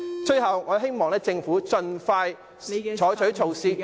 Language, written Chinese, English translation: Cantonese, 最後，我希望政府盡快採取措施......, Lastly I hope that the Government will expeditiously adopt measures